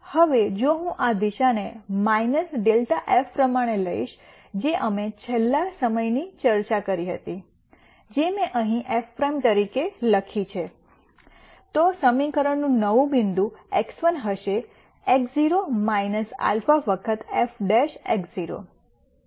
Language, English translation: Gujarati, Now, if I take this direction as minus grad f which is what we discussed last time which I have written here as f prime then, the equation will be the new point x 1 is x naught minus alpha times f prime x naught